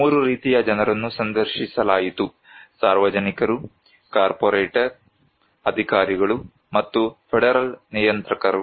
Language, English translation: Kannada, Three kind of people were interviewed; general public, corporate executives, and federal regulators